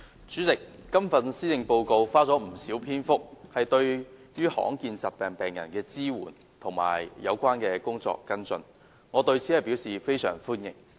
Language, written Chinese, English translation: Cantonese, 主席，施政報告花了不少篇幅談論對罕見疾病病人的支援和有關工作的跟進，我對此表示非常歡迎。, President I heartily welcome the Policy Address as it has made much mention of the support for rare disease patients and the follow - up on the relevant tasks